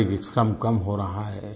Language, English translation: Hindi, Physical labour is getting reduced